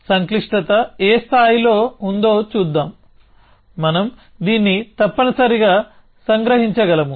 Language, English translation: Telugu, Let us see to what degree of complexity, we can capture this essentially